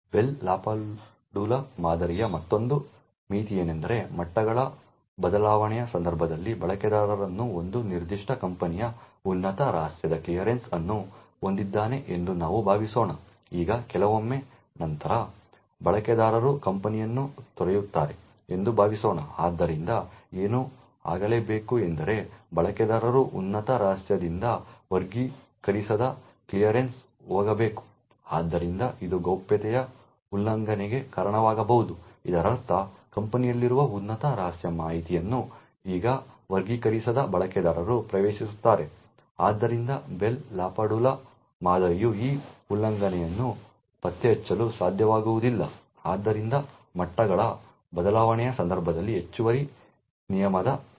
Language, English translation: Kannada, Another limitation of the Bell LaPadula model is the case when there is a change of levels, let us assume that a user has a clearance of top secret a particular company, now after sometimes let us assume that user leaves the company, so what should happen is that user should move from top secret to an unclassified clearance, so this could lead to a breach of confidentiality, it would mean that top secret information present in the company is now accessed by unclassified users, so the Bell LaPadula model would not be able to detect this breach, therefore an additional rule would require whenever there is a change of levels